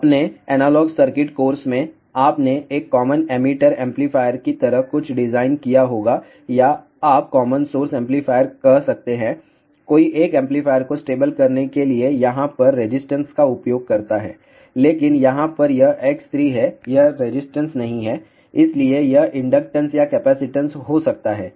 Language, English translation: Hindi, In your analogue circuits course, you might have designed something like a common emitter amplifier or you can say common source amplifier, there one uses resistance over here to stabilize the amplifier, but over here this is X 3 it is not resistance, so this can be inductance or capacitance